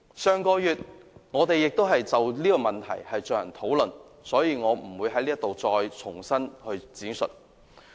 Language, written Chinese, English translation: Cantonese, 我們在上月曾就此問題進行討論，所以我不會在此重新闡述。, As we have already had a discussion on this matter last month I am not going to elaborate here